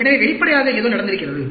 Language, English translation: Tamil, So, obviously, something has happened